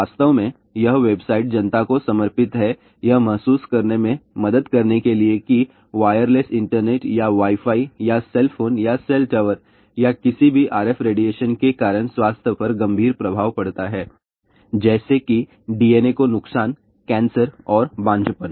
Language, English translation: Hindi, In fact, this website is dedicated to help the public realize that wireless internet or Wi Fi or cell phone or cell tower or any RF radiation the causes serious health effects such as damage to DNA, cancer and infertility